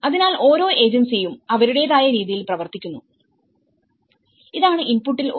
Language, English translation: Malayalam, So, each agency has worked in their own way, so this is one of the input